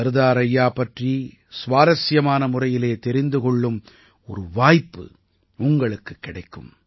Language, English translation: Tamil, By this you will get a chance to know of Sardar Saheb in an interesting way